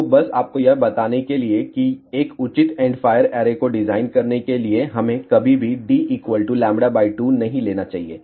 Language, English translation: Hindi, So, just to tell you to design a proper end fire array we should never ever take d is equal to lambda by 2